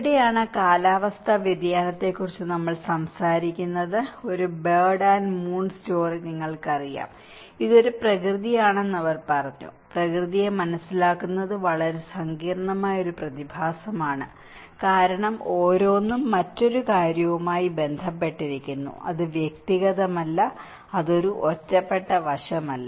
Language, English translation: Malayalam, And this is where we talk about the climate change shuffle, as a bird and moon story you know so, they said that it is a nature, it is a very complex phenomenon to understand nature because each and everything is linked with another thing, it is not individual, it is not an isolated aspect